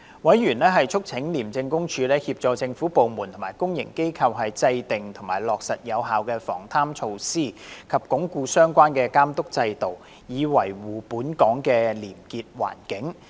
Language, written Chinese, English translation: Cantonese, 委員促請廉政公署協助政府部門和公營機構制訂及落實有效的防貪措施，以及鞏固相關的監督制度，以維護本港的廉潔環境。, Members called on the Independent Commission Against Corruption to assist government departments and public bodies to draw up and implement effective corruption prevention measures as well as enhance the relevant supervision systems so as to uphold Hong Kongs probity environment